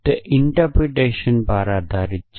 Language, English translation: Gujarati, depended upon the interpretation